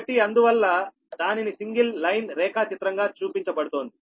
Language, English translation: Telugu, so, and thats why it can be represented by your single line diagram